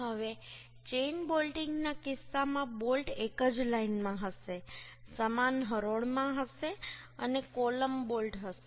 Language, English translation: Gujarati, Now, in case of chain bolting, the bolt will be in same line, in same row, and column bolt will be